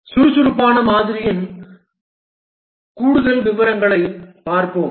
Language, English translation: Tamil, Let's look at more details of the agile model